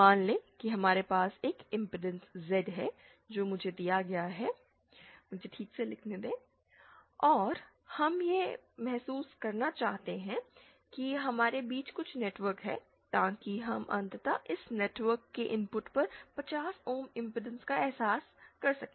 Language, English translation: Hindi, Let us suppose we have an impedance Z given by and we want to realise we are to have some network in between so that we finally realise 50 ohms impedance at the input of this network